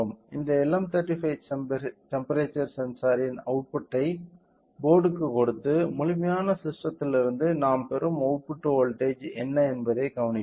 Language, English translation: Tamil, So, the output of this LM35 temperature sensor to the board and we will observe what is the output voltage we are getting from the complete system